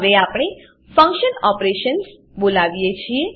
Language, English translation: Gujarati, Now we call the function operations